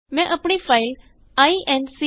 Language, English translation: Punjabi, I have saved my file as incrdecr.c